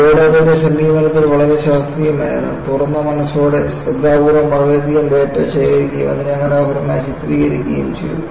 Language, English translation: Malayalam, So, the board was very scientific in its approach, open minded and carefully collected voluminous data and beautifully characterized it